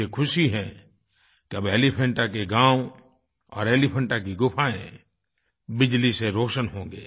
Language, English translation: Hindi, I am glad that now the villages of Elephanta and the caves of Elephanta will be lighted due to electrification